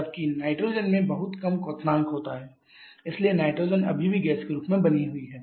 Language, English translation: Hindi, Whereas nitrogen has a much lower boiling point so nitrogen still remains as gas